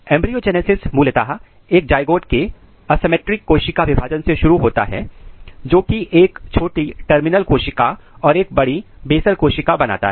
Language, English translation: Hindi, So, embryogenesis typically begins with an asymmetric cell division of zygote which produces a small terminal cell and a large basal cells